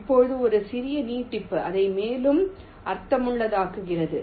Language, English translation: Tamil, right now, a slight extension makes it more meaningful